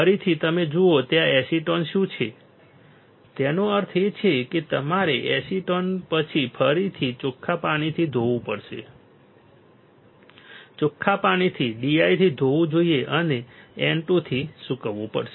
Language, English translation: Gujarati, Again you see what is there acetone; that means, you have to again rinse after acetone you have to rinse, rinse with D I and dry with N 2 dry